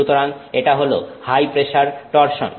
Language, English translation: Bengali, So, this is high pressure torsion